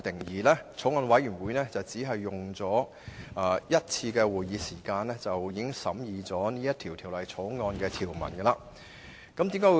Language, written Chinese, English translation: Cantonese, 法案委員會只召開一次會議便完成審議《條例草案》的條文。, The Bills Committee completed the scrutiny of all clauses of the Bill by convening only one meeting